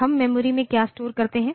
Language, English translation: Hindi, So, what we store in memory